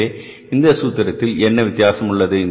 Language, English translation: Tamil, So, what is the difference between this formula